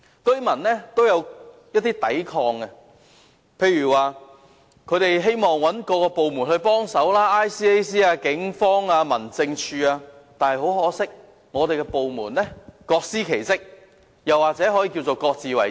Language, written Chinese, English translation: Cantonese, 居民亦有作出一些抵抗，例如他們希望找政府部門協助，例如廉政公署、警方或民政事務處等，但很可惜，這些部門各司其職，也可以說是各自為政。, The residents have put up some resistance by for instance turning to government departments such as the Independent Commission Against Corruption ICAC the Police or the District Offices DOs for assistance . But regrettably these departments have their respective duties and work separately in their own way